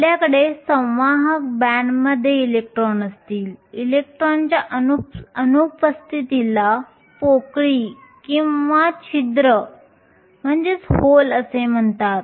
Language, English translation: Marathi, You will have electrons in the conduction band the absence of an electron is called a hole